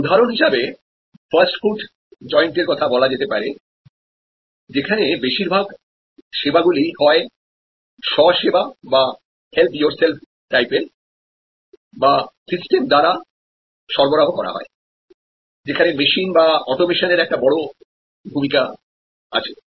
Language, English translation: Bengali, In case of say fast food joint, because a lot of the services there are either of the self service type or provided by systems, where machines or automation play a big part